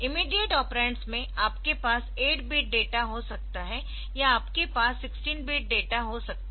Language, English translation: Hindi, For immediate operands so again the two thing you can have an 8 bit data or you can have a 16 bit data